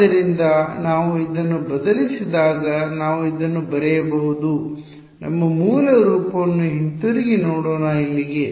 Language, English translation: Kannada, So, when we substitute this we can write this as let us look back at our original form over here